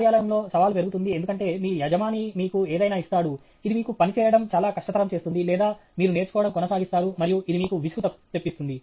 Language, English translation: Telugu, In an office, the challenge will increase because your boss will give you something, which will make it very difficult for you to work or you keep on learning and it becomes something is boring for you